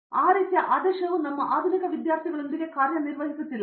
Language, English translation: Kannada, Now, that type of dictate is not working out with our modern students